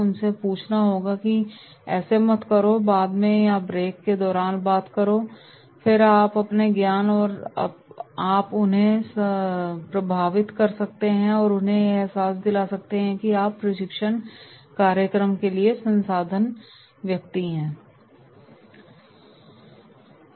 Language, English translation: Hindi, Ask them “No, do not do this, talk later or during the break” and then by your knowledge you can influence them and let them realise that yes you are the right resource person for this training program